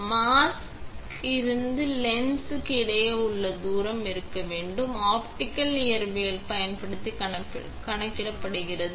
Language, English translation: Tamil, So, from the mask to the lens what should be the distance between two is calculated using optical physics